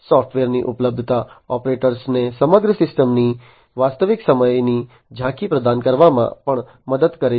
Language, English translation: Gujarati, Availability of software also helps in providing real time overview of the entire system to the operators